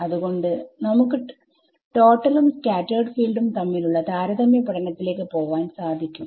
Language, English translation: Malayalam, So, now here we can get into the comparison between the total and the scattered field total and scattered field